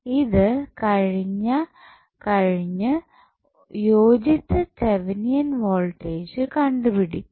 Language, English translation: Malayalam, Now, next task is to find out the value of Thevenin voltage